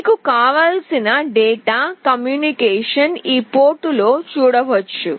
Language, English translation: Telugu, Whatever data communication you want you can see it in this port